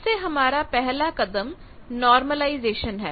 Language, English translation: Hindi, Again the first step is the normalization